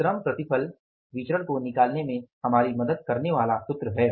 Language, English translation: Hindi, So, this is the formula that is helping us to find out the labour yield variance